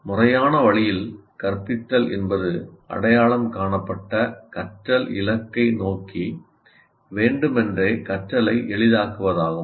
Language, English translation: Tamil, In a formal way, instruction, it is the intentional facilitation of learning toward an identified learning goal